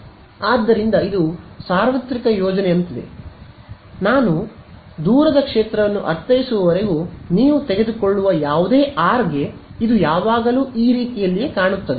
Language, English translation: Kannada, So, it is like a universal plot whatever r you take as long as I mean the far field it will always look like this ok